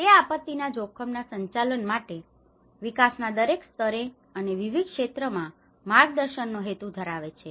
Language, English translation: Gujarati, It aims to guide the multi hazard management of disaster risk in development at all levels as well as within and across all sectors